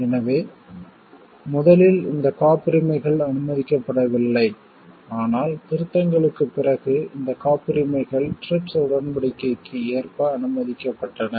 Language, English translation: Tamil, So, originally these patents were not allowed, but after the amendments these patents were allowed keeping in line to with the TRIPS agreement